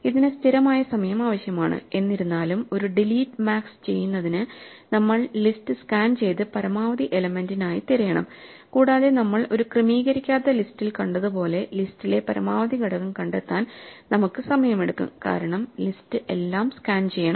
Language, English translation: Malayalam, This takes constant time; however, to do a delete max we have to scan through the list and search for the maximum element and as we have seen in an unsorted list, it will take us order n time to find the maximum element in list because we have to scan all the items